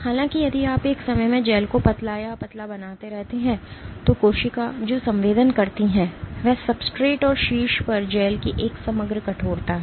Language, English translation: Hindi, However, if you keep making the gel thinner and thinner at one time what the cell is sensing is an aggregate stiffness of the substrate and of the gel on top